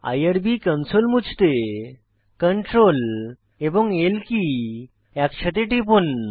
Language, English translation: Bengali, Clear the irb console by pressing Ctrl, L simultaneously